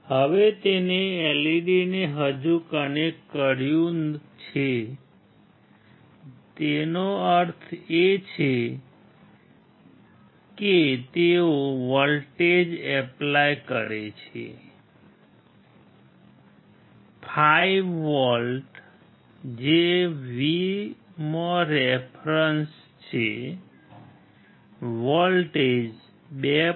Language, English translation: Gujarati, Now he has connected the LED still on means they apply voltage is 5 volts which is V IN reference was the voltage is 2